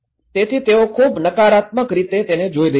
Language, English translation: Gujarati, So, they are looking in a very negative way